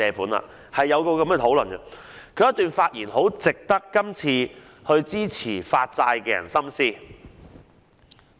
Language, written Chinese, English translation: Cantonese, 當年他在相關討論中的發言很值得今次支持發債的人深思。, His speech in the relevant discussion back in those days is worth serious consideration by those who support bond issuance this time around